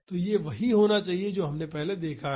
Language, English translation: Hindi, So, this should be same as what we have seen earlier